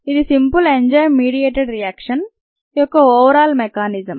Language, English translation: Telugu, this is the overall mechanism of simple enzyme mediated reaction